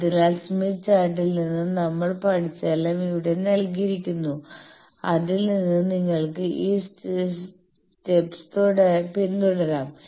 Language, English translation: Malayalam, So, all those steps are given here just whatever we have learnt from the smith chart from that you can just follow this step